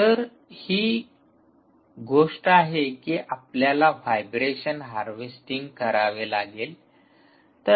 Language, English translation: Marathi, so that is the thing that you will have to do, even for vibration harvesting